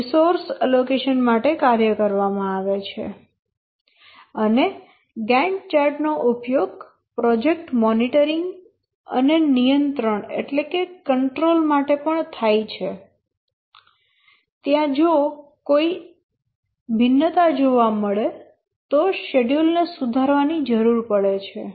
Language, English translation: Gujarati, And also the Gant chart is used for project monitoring and control where the schedule needs to be refined if there are any variations that are observed